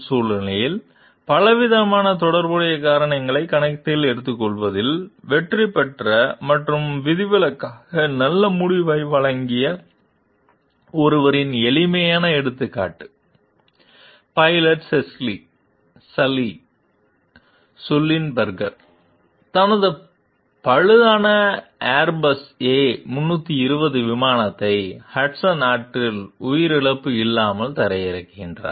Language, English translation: Tamil, A handy example of someone who succeeded in taking account of a wide range of relevant factors in the situation and provided an exceptionally good outcome is the pilot, Chesley Sully Sullenberger, who landed his disabled Airbus A320 airplane in Hudson River with no loss of life